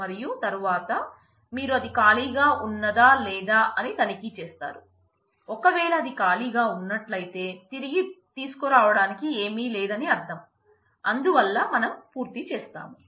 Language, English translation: Telugu, And then you check whether it is empty or not, if it is empty then the I mean there is nothing to bring back, so you are done